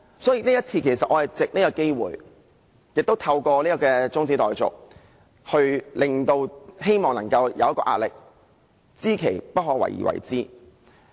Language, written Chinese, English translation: Cantonese, 所以，這次我是藉這個機會，亦透過這項中止待續議案，希望給予政府壓力，我是知其不可為而為之。, Therefore I wish to exert pressure on the Government through this opportunity this time around and also this adjournment motion . I am aware of its impossible passage but I still insisted on moving this motion . I know many Members will raise objection